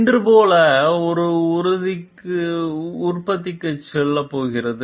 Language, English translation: Tamil, And like today it is going to go for production